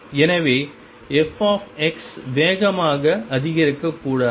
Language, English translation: Tamil, So, f x should not increase faster